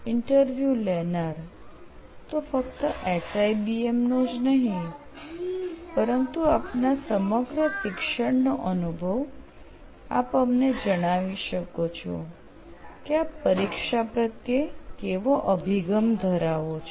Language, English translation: Gujarati, Basically you can share your experience not only from SIBM, your entirely, from your entire learning experience you can tell us how you probably approach examinations